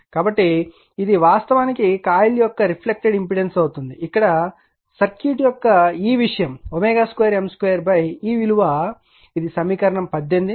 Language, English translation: Telugu, So, this is actually reflected impedance of your coil where is your this thing of the circuit that is omega square M square upon this one this is equation 18 right